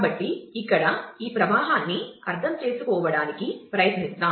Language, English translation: Telugu, So, here let us try to understand this flow